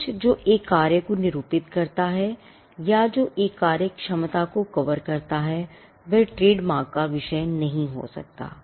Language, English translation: Hindi, Something which is which did denote a function, or which covers a functionality cannot be the subject matter of a trademark